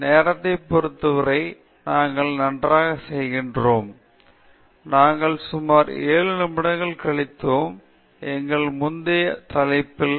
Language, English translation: Tamil, We are doing quite well with respect to time; we spent about 7 minutes or so, on our previous topic on constraints